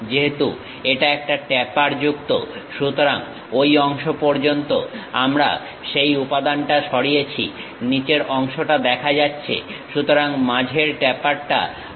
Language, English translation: Bengali, Because it is a tapered one; so we have removed that material up to that portion, the bottom is clearly visible, only the tapper middle one we have removed